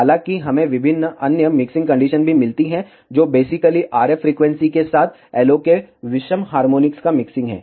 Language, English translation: Hindi, However, we also get various other mixing terms, which are basically mixing of odd harmonics of LO with the RF frequency